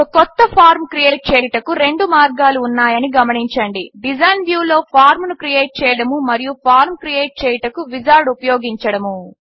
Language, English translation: Telugu, Notice that there are two ways to create a new form: Create Form in Design View and Use Wizard to create form